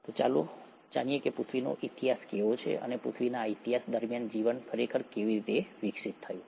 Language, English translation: Gujarati, So, let’s get to how the history of earth is, and how life really evolved during this history of earth